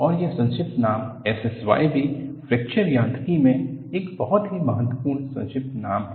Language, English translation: Hindi, And, this abbreviation S S Y is also a very important abbreviation in Fracture Mechanics